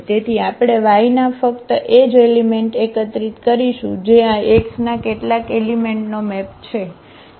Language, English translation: Gujarati, So, we will collect all only those elements of y which are the map of some elements from this X ok